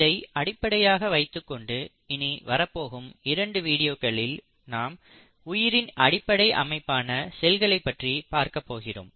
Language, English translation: Tamil, So with that background in the next 2 videos what we are going to talk about, are the very fundamental unit of life which is the cell